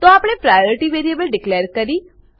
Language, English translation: Gujarati, So we have declared the variable priority